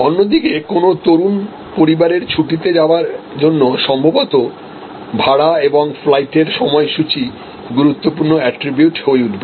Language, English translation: Bengali, On the other hand for a young family going on holiday perhaps fare and the flight schedules will be the timings will become more important set of attributes